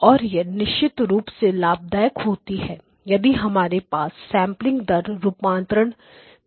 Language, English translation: Hindi, And it is definitely advantageous if you have sampling rate conversion as well